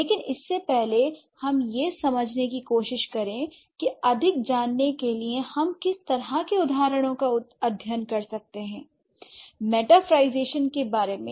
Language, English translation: Hindi, But before that let's try to understand what kind of examples we can study to know more about metaphorization